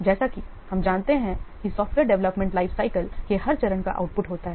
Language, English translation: Hindi, As you know that every phase of software development lifecycle is having an output